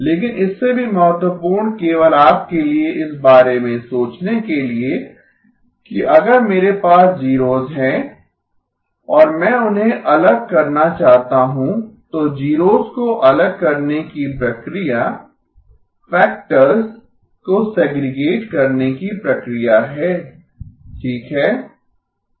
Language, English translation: Hindi, But more importantly just for you to think about, that if I have zeros and I want to separate them out, the process of separating zeros is the process of segregating factors okay